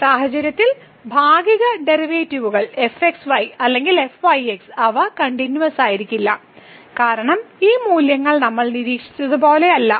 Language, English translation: Malayalam, So, in this case the partial derivatives either or they are not continuous which was clear because those values were not same as we have observed